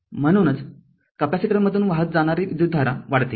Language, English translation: Marathi, Therefore, current appears to flow through the capacitor rise